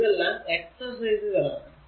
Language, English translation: Malayalam, Now, these are all exercise